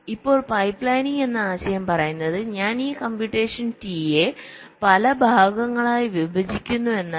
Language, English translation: Malayalam, now the concept of pipe lining says that i am splitting this computation t into several parts